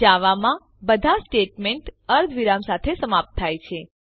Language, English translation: Gujarati, In Java, all statements are terminated with semicolons